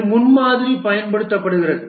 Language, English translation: Tamil, It uses prototyping